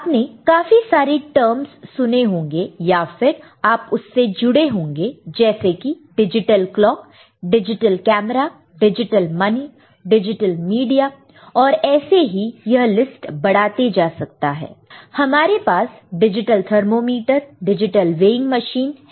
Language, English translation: Hindi, You are associated, you are familiar with many terms like digital clock, digital camera, digital money, digital media so and so forth that mean you can go on increasing this list; we have digital thermometer, digital weighing machine